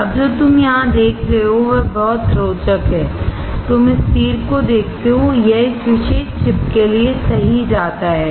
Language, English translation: Hindi, Now what you see here is very interesting, you see this arrow; this one goes right to this particular chip